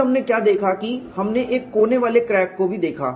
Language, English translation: Hindi, Then what we looked at we have also looked at a corner crack